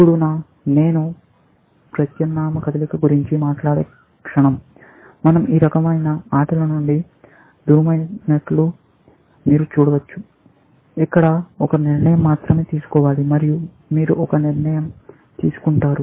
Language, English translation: Telugu, Now, the moment I talk of alternate moves, you can see that we are moving away from these kinds of games where, there is only one decision to be made, and you make one decision